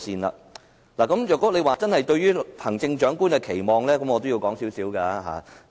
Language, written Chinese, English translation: Cantonese, 若大家真要討論對行政長官的期望，我可稍微討論一下。, I can briefly talk about expectations for the next Chief Executive if Members really wish to discuss this